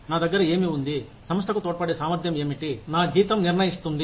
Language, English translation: Telugu, What do I have, my ability to contribute to the organization, is what, determines my salary